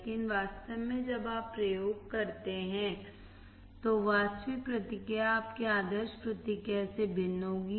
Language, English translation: Hindi, But in reality, when you perform the experiment, the actual response would be different than your ideal response